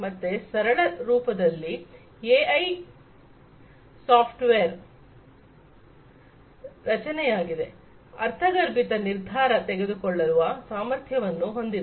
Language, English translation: Kannada, So, in simplistic form AI is a creation of software, having intuitive decision making capability